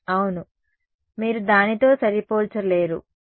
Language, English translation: Telugu, Yeah, you cannot match that know yeah